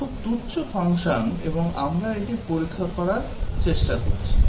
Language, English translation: Bengali, Very trivial function and we are trying to test it